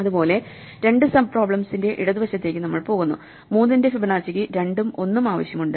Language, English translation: Malayalam, Similarly, we go to the left of the two sub problems Fibonacci of 3 requires 2 and 1; 2 requires 1 and 0